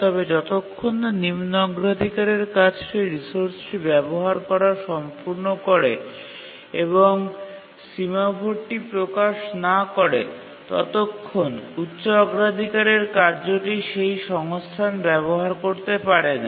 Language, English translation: Bengali, But until the low priority task actually completes using the resource and religious the semaphore, the high priority task cannot access the resource